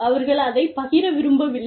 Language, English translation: Tamil, They do not want to share it